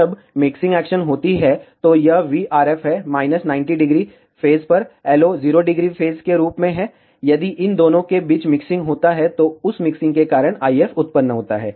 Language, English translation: Hindi, When the mixing action happens, so this is v RF is at minus 90 degree phase, LO is as 0 degree phase, if a mixing between these two happen, the IF generated because of that mixing